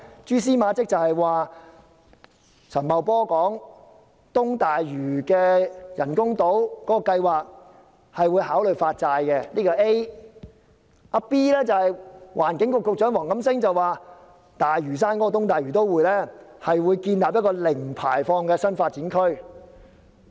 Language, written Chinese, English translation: Cantonese, 蛛絲馬跡就是陳茂波說會考慮就東大嶼的人工島計劃發債，此為 A；B 則是環境局局長黃錦星說，會在東大嶼都會建立一個零排放的新發展區。, The remark by Paul CHAN that financing the plan of constructing artificial islands at East Lantau by bond issuances would be considered have given us some clues this is A . And B WONG Kam - sing the Secretary for Environment has said that a new development area with zero - emission will be developed at East Lantau